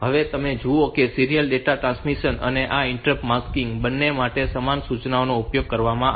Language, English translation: Gujarati, Now, you see that there is a so since the same instructions it is used for both serial data transmission and this interrupt masking